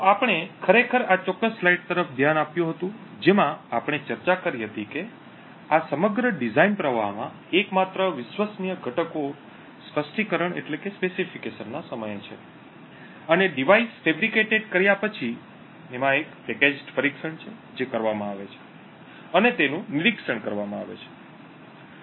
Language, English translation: Gujarati, So we in fact had looked at this particular slide wherein we actually discussed that the only trusted components in this entire design flow is at the time of specification and after the device is fabricated and there is a packaged testing that is done and monitoring